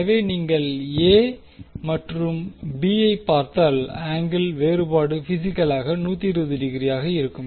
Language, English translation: Tamil, So, if you see A and B, so, the angle difference will be physically 120 degree